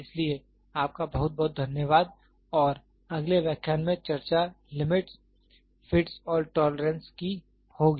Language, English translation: Hindi, So, thank you very much and let us discuss in the next lecture will be limits, fits and tolerance